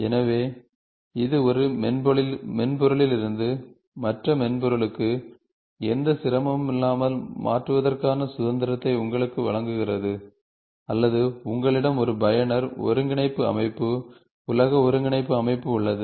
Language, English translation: Tamil, So, this gives you a freedom of transferring it from one software to the other software, without any difficulty, or you have a user coordinate system, you are a world coordinate system